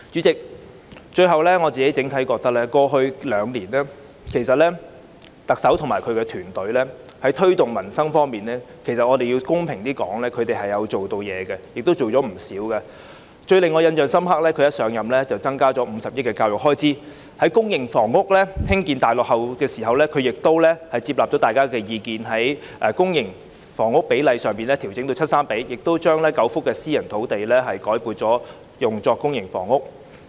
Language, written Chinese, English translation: Cantonese, 最後，主席，公道點說，我認為整體上特首及其團隊過去兩年在推動改善民生的工作方面做了不少工夫，最令我印象深刻的是特首一上任便增加50億元的教育開支，而在公營房屋建屋量大落後的情況下，她亦接納大家的意見，把公私營房屋比例調整至七三比，並將9幅私營房屋土地改作興建公營房屋之用。, Lastly President in all fairness I would say that overall the Chief Executive and her team have done a lot in promoting initiatives of improving the peoples livelihood over the past two years . I was most impressed by the Chief Executive taking the initiative to increase the expenditure on education by 5 billion right after her assumption of office and despite that public housing production had fallen far short of the target she still took on board our view and revised the public - private split to 70col30 and re - allocated nine private housing sites for public housing production